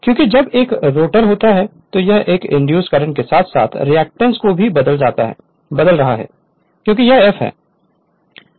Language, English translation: Hindi, Because when a rotar rotating its frequency is changing a induced emf current as well as the reactance also because this is this is f right